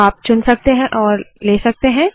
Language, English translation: Hindi, You can pick and choose